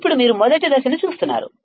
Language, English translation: Telugu, Now, you see just stage one